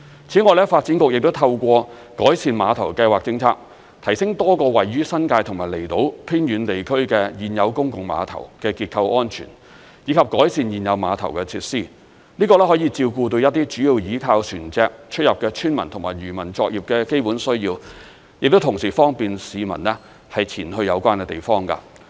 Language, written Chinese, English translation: Cantonese, 此外，發展局亦透過改善碼頭計劃政策，提升多個位於新界及離島偏遠地區的現有公共碼頭的結構安全，以及改善現有碼頭的設施，這可以照顧到一些主要倚靠船隻出入的村民及漁民作業的基本需要，同時亦方便市民前往有關地方。, Moreover the Development Bureau has improved the structural safety of several existing public piers in remote New Territories districts and on outlying islands and upgraded the facilities of existing piers through the Pier Improvement Programme . This can meet the basic needs of remote villagers who mainly rely on marine transport or who engage in fishing operation and also facilitate access to these places by the public